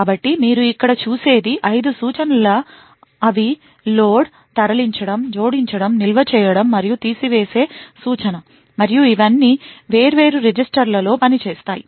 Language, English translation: Telugu, So what you see here is 5 instructions they are the load, move, add, store and the subtract instruction and all of them work on different set of registers